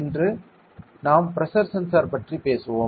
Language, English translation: Tamil, Today we will be discussing a pressure sensor